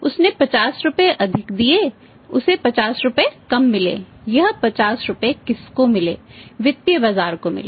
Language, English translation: Hindi, He paid 50 rupees more he got 50 rupees less who got this 50 rupees financial market